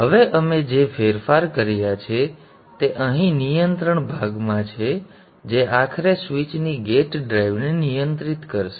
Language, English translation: Gujarati, Now the changes that we have made is here in the control portion which ultimately is going to control the gate drive of the switch